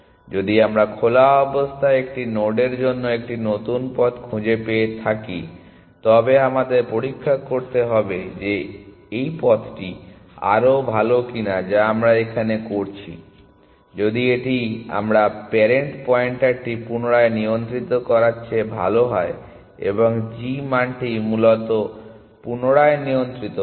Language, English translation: Bengali, If we have found a new path to a node in open then we need to check whether this path is better which is what we are doing here, if it is better than we readjust the parent pointer and readjust the g value essentially